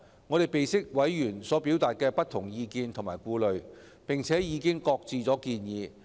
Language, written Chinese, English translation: Cantonese, 我們備悉委員所表達的不同意見及顧慮，並已擱置建議。, We note the diverse views and reservations expressed by members and have therefore shelved the proposal